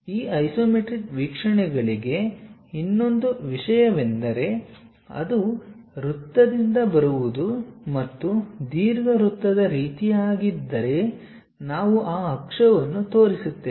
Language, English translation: Kannada, One more thing for these isometric views, if it is something like coming from circle and ellipse kind of thing we show those axis